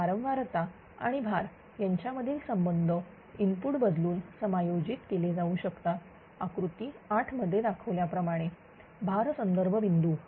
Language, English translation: Marathi, So, the relationship between frequency and load can be adjusted right ah by changing the input as shown in load reference set point this is called u in the figure 8